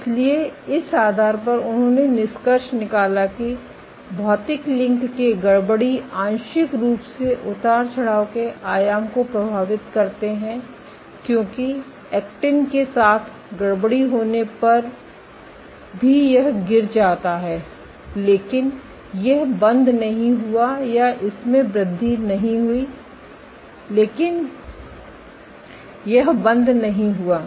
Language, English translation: Hindi, So, based on this they concluded that perturbations of the physical links partially affect the amplitude of fluctuations, because even when the perturbed with actin it dropped, but it did not go or it increase, but didn’t go